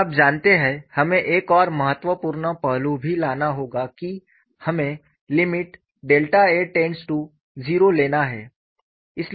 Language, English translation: Hindi, And you know we will also have to bring in another important aspect that we want to take the limit delta tends to 0